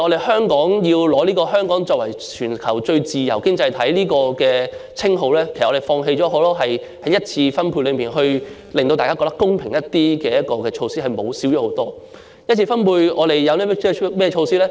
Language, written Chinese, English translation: Cantonese, 香港要取得作為全球最自由經濟體的稱號，我們是要放棄很多在一次分配中可令大家感到較公平的措施，以致這些措施大為減少。, In order for Hong Kong to be reputed as the worlds freest economy we have to give up many measures considered by people as fair in the course of primary distribution and as a result these measures have decreased substantially